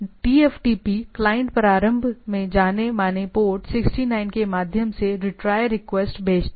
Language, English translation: Hindi, The TFTP client, initially send retry request through the well known port 69